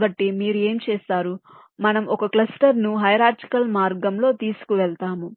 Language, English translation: Telugu, we carry our cluster in a hierarchical way